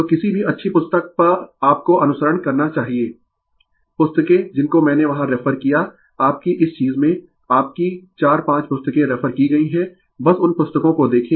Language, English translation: Hindi, So, any any any good book you should follow, the books which I have referred there in yourthis thing your4 5 books referredjustjust see those books right